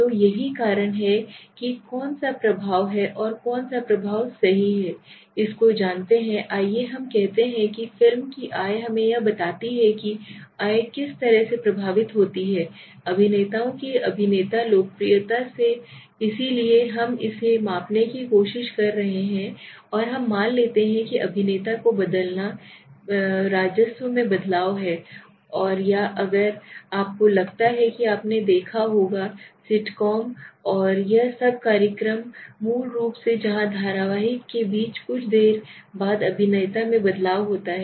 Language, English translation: Hindi, So this is the cause which effects which and that is the effect right so what is the effect let's say of let us say the film's income let us say income is how income is affected by the popularity of actor popularity of the actors right so this we are trying to measure and we see if we suppose change the actor is there a change in the revenue right or the if suppose you must have seen in sitcoms and all this the program s basically where the change in actor in between the serial right after some time